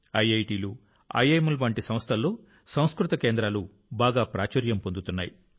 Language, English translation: Telugu, Sanskrit centers are becoming very popular in institutes like IITs and IIMs